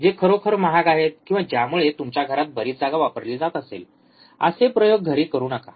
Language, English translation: Marathi, So, do not do experiments are really costly or which consumes lot of space in your home